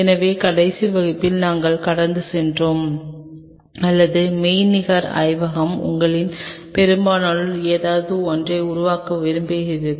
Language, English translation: Tamil, So, in the last class we kind of walked through or virtual lab, which I wish most of you develop something